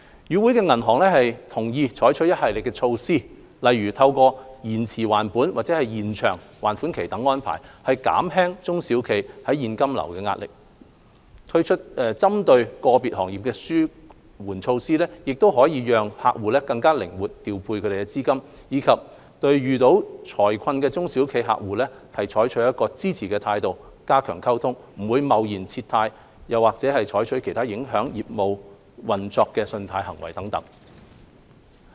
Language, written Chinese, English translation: Cantonese, 與會銀行同意採取一系列措施，例如透過延遲還本或延長還款期等安排，減輕中小企現金流壓力；推出針對個別行業的紓緩措施，讓客戶可以更靈活調配資金；以及對遇到財困的中小企客戶抱支持態度，加強溝通，不貿然撤貸或採取其他影響客戶業務運作的信貸行動等。, Banks attending the meetings agreed to adopt a series of measures such as offering principal moratoriums and extension of loan tenors for SMEs so as to relieve their cash flow pressure; introducing relief measures targeting specific sectors to allow clients to use their funds more flexibly; and treating SMEs encountering financial difficulties with sympathy and enhanced communication and avoiding withdrawing credit lines hastily or taking other credit actions that will adversely affect clients business operations